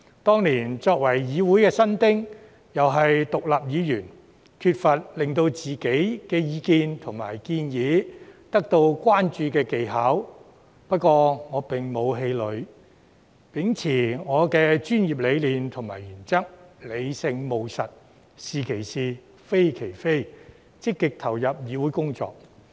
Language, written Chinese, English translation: Cantonese, 當年，我作為議會新丁，又是獨立議員，缺乏令自己的意見及建議得到關注的技巧，不過，我沒有氣餒，而是秉持我的專業理念和原則，理性務實，"是其是，非其非"，積極投入議會工作。, Being a novice in the legislature and still worse an independent Member I lacked the skill to bring attention to my views and proposals back then but I was never disheartened . Instead I held firm to my professionalism and principles of rationality and practicality calling a spade a spade and actively engaging in parliamentary work